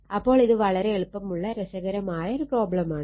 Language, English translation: Malayalam, So, this problem is interesting problem and very simple problem